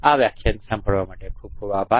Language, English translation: Gujarati, Thank you very much for listening this lecture